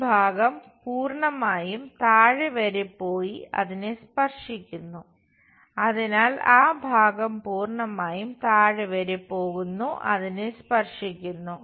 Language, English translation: Malayalam, And this part entirely goes all the way bottom touch that, so that entire part goes all the way touch there